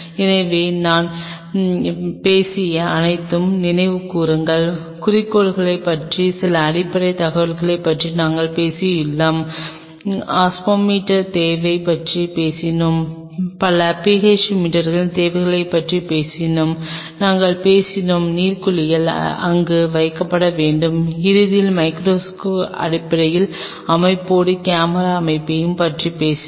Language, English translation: Tamil, So, let us recollect what all we have talked today we have talked about the some of the fundamental information about the objectives, we have talked about the need for an Osmometer, we have talked about the need for multiple PH meters, we have talked about water baths which has to be kept there and in the end we talked about to have a camera setup along with the basic set up of the microscope